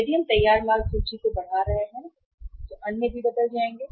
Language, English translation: Hindi, If we are increasing the finished goods inventory others will also change